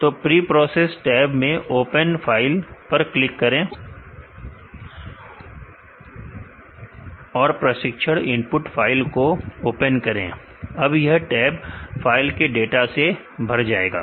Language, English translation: Hindi, So, the preprocess tab click on open file and, open the training input file the tab is now populated with the data which from the file